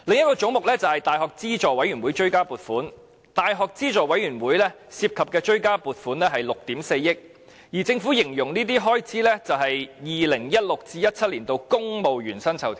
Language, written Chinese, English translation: Cantonese, 教資會的追加撥款是約6億 4,000 萬元，而政府同樣把這項追加撥款的原因形容為 "2016-2017 年度公務員薪酬調整"。, The supplementary appropriation for UGC is about 640 million the reason for which the Government also describes as 2016 - 2017 civil service pay adjustment